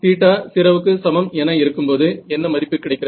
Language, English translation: Tamil, So, at theta equal to 0 what is the value